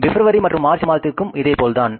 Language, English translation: Tamil, Same is the case with the February and March